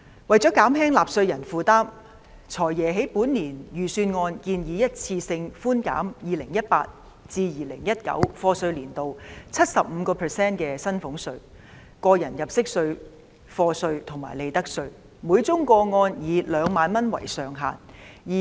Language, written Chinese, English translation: Cantonese, 為了減輕納稅人負擔，"財爺"在本年度的財政預算案建議一次性寬減 2018-2019 課稅年度 75% 的薪俸稅、個人入息課稅及利得稅，每宗個案以2萬元為上限。, To ease the burden on taxpayers the Financial Secretary has proposed in this years Budget one - off reductions of salaries tax tax under personal assessment and profits tax for year of assessment 2018 - 2019 by 75 % subject to a ceiling of 20,000 per case